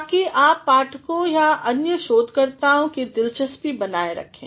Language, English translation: Hindi, So, that you are keeping the interest of the reader or other researchers intact